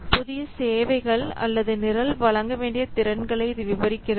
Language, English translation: Tamil, It describes the new services or the capabilities that the program should deliver